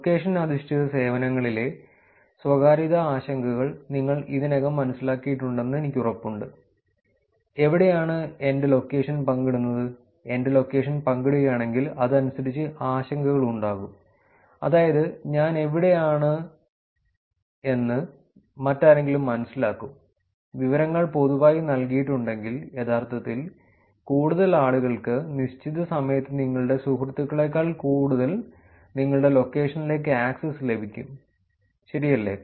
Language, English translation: Malayalam, I am, I am sure by now you already realized the privacy concerns in location based services which are, where my location is shared, if my location is shared there are going to be concerns accordingly, that is, somebody else will get to know where I am, if the information is given public, then many more people actually, more than just your friends get access to your location at that given point in time, right